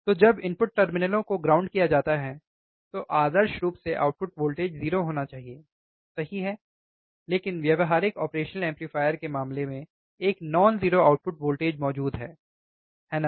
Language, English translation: Hindi, So, when the input terminals are grounded, ideally the output voltage should be 0, right, but in case of practical operational amplifier a non 0 output voltage is present, right